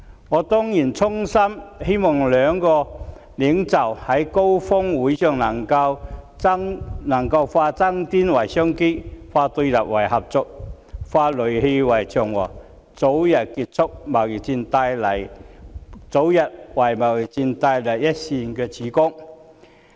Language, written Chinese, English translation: Cantonese, 我當然衷心希望兩國領袖在峰會上能夠化爭端為商機，化對立為合作，化戾氣為祥和，為早日結束貿易戰帶來一線曙光。, Certainly I sincerely hope that at their meeting during the Summit the two leaders can turn disputes into business opportunities opposition into cooperation and hostility into harmony bringing a ray of hope for the trade war to end early